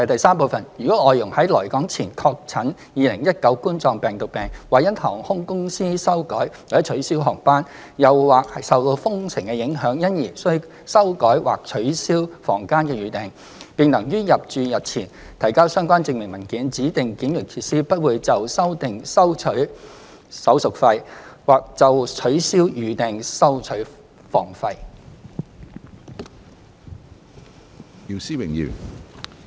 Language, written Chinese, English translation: Cantonese, 三如外傭在來港前確診2019冠狀病毒病，或因航空公司修改/取消航班，又或受封城影響，因而須修改或取消房間預訂，並能於入住日前提交相關證明文件，指定檢疫設施不會就修訂收取手續費，或就取消預訂收取房費。, 3 If a change or cancellation of room booking is required because an FDH is tested COVID - 19 positive before arrival in Hong Kong or because of a change or cancellation of flights by the airline or a lockdown DQF will not charge a handling fee for changing the booking or charge a room fee for cancellation of booking if relevant supporting documents are submitted in advance